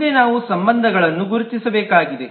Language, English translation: Kannada, Next, we need to identify relationships